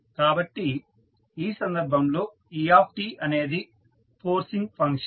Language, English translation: Telugu, So, in this case et is the forcing function and what is t